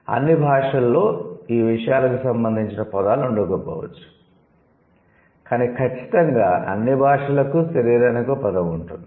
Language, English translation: Telugu, So, maybe not all languages have words for these things, but for sure all languages will have a word for body